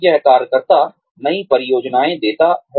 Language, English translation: Hindi, It gives the worker, new projects